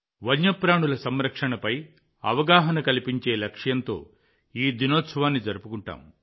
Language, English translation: Telugu, This day is celebrated with the aim of spreading awareness on the conservation of wild animals